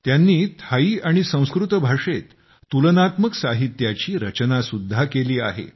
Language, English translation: Marathi, They have also carried out comparative studies in literature of Thai and Sanskrit languages